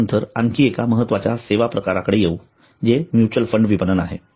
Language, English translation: Marathi, then coming to another important type of financial services which is mutual funds marketing